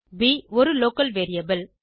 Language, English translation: Tamil, b is a local variable